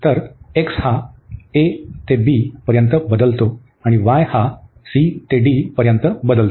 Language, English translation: Marathi, So, x varies from a to b and y varies from c to d